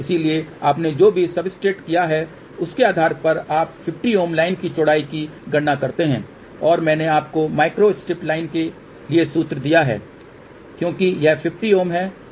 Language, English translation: Hindi, So, you calculate 50 ohm line width corresponding to whatever the substrate you have taken and I have given you the formula for micro strip line because this is 50 ohms it is better to use this 50 ohm